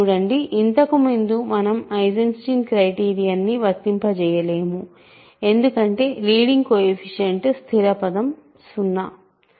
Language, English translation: Telugu, See, earlier we cannot apply Eisenstein criterion because the leading coefficient the constant term is 0